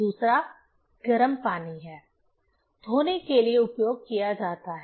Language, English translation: Hindi, Another is the warm water, is used for washing